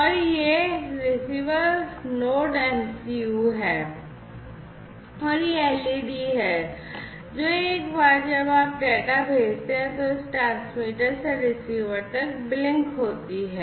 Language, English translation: Hindi, And this is this receiver Node MCU and this is this led, which is going to blink once you send the data, from this transmitter to the receiver